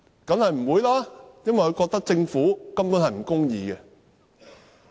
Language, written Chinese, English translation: Cantonese, 當然不會，因為他們覺得政府根本不公義。, Definitely not because they think the Government is unfair to them